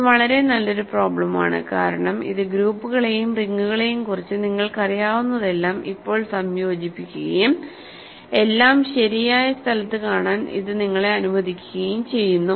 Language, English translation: Malayalam, So, this is a very nice problem because, it now combines everything that you know about groups and rings and it allows you to see everything in its proper place